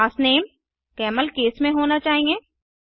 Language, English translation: Hindi, * The class name should be in CamelCase